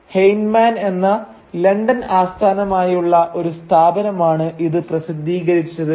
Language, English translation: Malayalam, And it was published by a London based firm called Heinemann